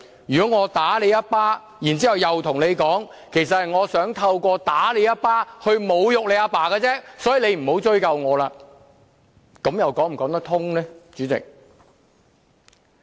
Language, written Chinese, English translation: Cantonese, 如果我打你一記耳光，然後跟你說其實我想透過打你一記耳光侮辱你的父親，所以你不要向我追究，主席，這又說得過去嗎？, If I slap you and tell you not to hold me responsible as I actually mean to insult your father by slapping you President does it hold water?